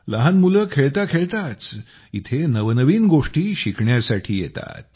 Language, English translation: Marathi, Small children come here to learn new things while playing